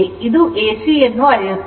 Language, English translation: Kannada, It measures the AC right